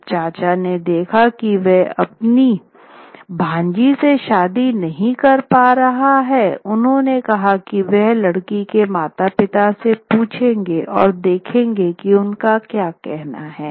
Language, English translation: Hindi, When the uncle saw that he wasn't getting anywhere, he said he would ask the girl's parents and see what they said